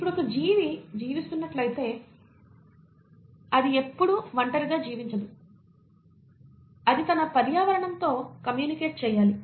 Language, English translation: Telugu, Now if an organism is living, itÕs never living in isolation, it has to communicate with its environment